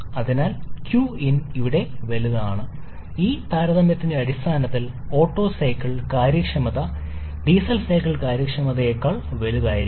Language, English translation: Malayalam, So, q in is greater for this and from there we can easily say that the Otto cycle efficiency will be greater than the Diesel cycle efficiency in terms of this set of comparison